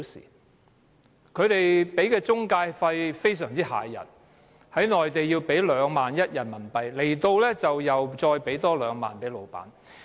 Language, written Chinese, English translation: Cantonese, 而他們支付的中介費用非常駭人，在內地要支付人民幣 21,000 元，來港後要再支付 20,000 元給老闆。, The amount of placement fee they pay is stunning RMB 21,000 paid on the Mainland and 20,000 to the employer after coming to Hong Kong